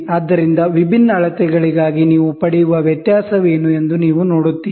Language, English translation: Kannada, So, you see what is the difference you get for varying measurements